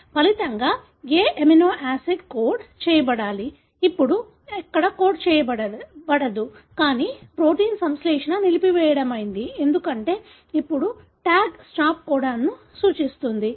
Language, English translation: Telugu, As a result, whatever amino acid that should be coded, now is not being coded there, but rather the synthesis of protein is stopped, because now the TAG represents a stop codon